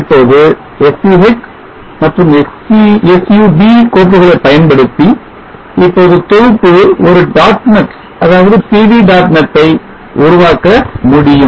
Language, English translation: Tamil, Now using the SCH and SUB file we can now compile and create a dot net PV dot net